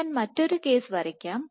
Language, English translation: Malayalam, So, let me redraw this case